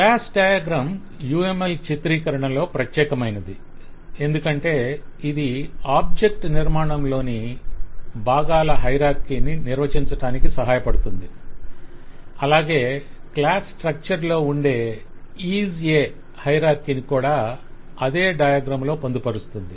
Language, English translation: Telugu, Class diagram is unique in the UML representation because it provides us the mechanism to define the part of hierarchy or the object structure and the IS A hierarchy of the class structure together in the same diagram